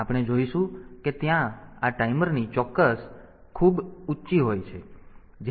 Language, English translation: Gujarati, So, we will see that this timers there the precisions are very high